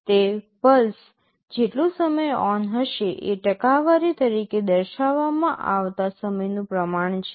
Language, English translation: Gujarati, It is the proportion of time the pulse is ON expressed as a percentage